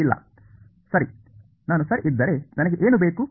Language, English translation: Kannada, No, right what do I want if I ok